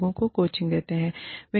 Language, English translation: Hindi, Mentoring, coaching people